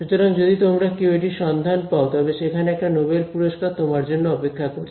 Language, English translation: Bengali, So, if any of you do find it there is a noble prize waiting for you